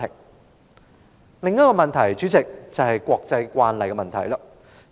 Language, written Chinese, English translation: Cantonese, 代理主席，另一個問題是國際慣例。, Deputy President another question is about international practice